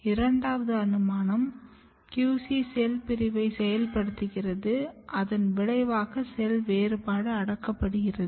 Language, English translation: Tamil, In third possibility, QC is actually repressing differentiation and result is activation of cell division